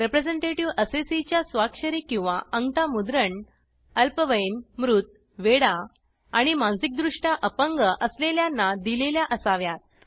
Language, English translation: Marathi, Representative Assessees signature or thumb print should be given for minors, the deceased, lunatics and the mentally retarded